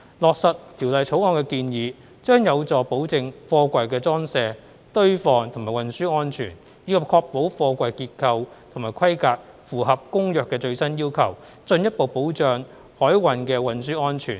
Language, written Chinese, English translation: Cantonese, 落實《條例草案》的建議，將有助保證貨櫃的裝卸、堆放和運輸安全，以及確保貨櫃結構和規格符合《公約》的最新要求，進一步保障海運的運輸安全。, Implementation of the legislative proposals of the Bill will help guarantee safety in the loadingunloading stacking and transport of containers while ensuring that the structure and specifications of containers comply with the latest requirements of the Convention thereby further safeguarding maritime transport safety